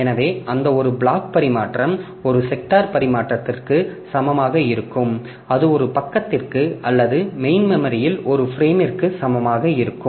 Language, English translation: Tamil, So, they are made equal so that one block transfer that will be equal to one sector transfer and that is equal to one page or one frame in the main memory